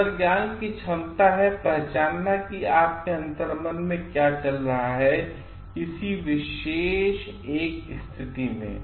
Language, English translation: Hindi, Intuition is the ability to recognise what is going on in a situation on your gut feeling